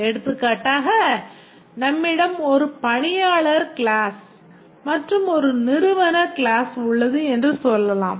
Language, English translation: Tamil, For example, let's say we have an employee class and a company class, let's say a person works for a company